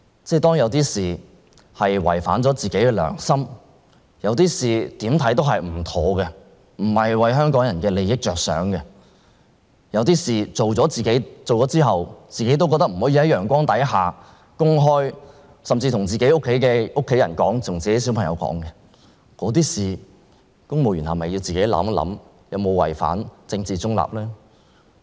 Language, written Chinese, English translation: Cantonese, 如果有些事情，做了會違反自己的良心，有些事情怎樣看也不妥當，不是為香港人的利益着想，有些事情做了之後，自己也會認為不能在陽光下公開，甚至不能告訴家人和小孩，那麼，公務員是否應該自行想一想，做那些事情有否違反政治中立原則呢？, When it comes to things that are against our consciences things that do not appear to be appropriate or in the interests of Hong Kong people from whatever standpoint things that once done we will not want to bring to light or let our family members and children know about shouldnt civil servants have a good think about whether it is contrary to the principle of political neutrality for them to do such things?